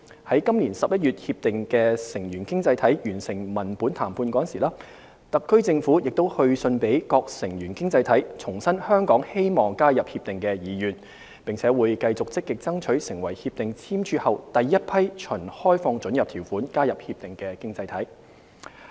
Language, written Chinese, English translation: Cantonese, 在今年11月《協定》的成員經濟體完成文本談判時，特區政府亦去信予各成員經濟體，重申香港希望加入《協定》的意願，並會繼續積極爭取成為《協定》簽署後第一批循開放准入條款加入《協定》的經濟體。, In November this year when the members economies concluded the text - based negotiation the Government has issued letters to the member economies reiterating our strong wish to join RCEP . We will continue working towards the goal of seeking Hong Kongs accession to RCEP as its first new member economy